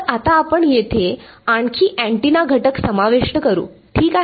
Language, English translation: Marathi, So, what we will do is now we will add another antenna element over here ok